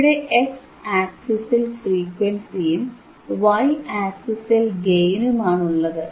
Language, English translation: Malayalam, I have the frequency on the y axis, sorry x axis and gain on the y axis, right